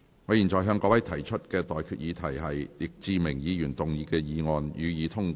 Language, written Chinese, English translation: Cantonese, 我現在向各位提出的待決議題是：易志明議員動議的議案，予以通過。, I now put the question to you and that is That the motion moved by Mr Frankie YICK be passed